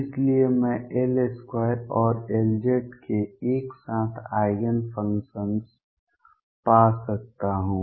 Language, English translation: Hindi, So, I can find simultaneous Eigenfunctions of L square and L z